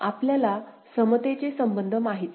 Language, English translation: Marathi, We know the equivalence relationship right